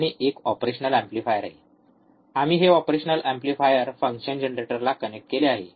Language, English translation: Marathi, And there are there is a operational amplifier, we have connected this operational amplifier